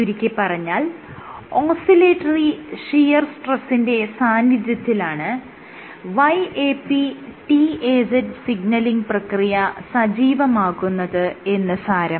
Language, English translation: Malayalam, So, this confirmed that YAP/TAZ signaling gets activated under oscillatory shear stress